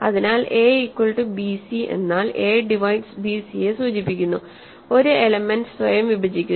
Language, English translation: Malayalam, So, a equal to bc implies a divides bc, an element divides itself